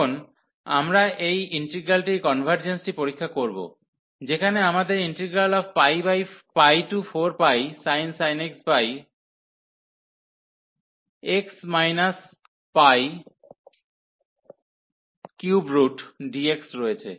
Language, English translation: Bengali, Now, we will test the convergence of this integral, where we have pi to 4 pi and sin x over a cube root x minus pi dx